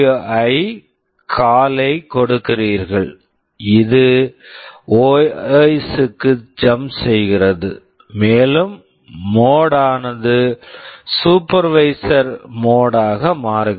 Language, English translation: Tamil, You give SWI call, it jumps to the OS and also the mode changes to supervisory mode